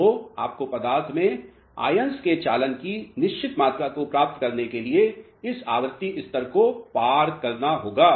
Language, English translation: Hindi, So, you have to overcome this frequency level to achieve certain amount of conduction of ions in the material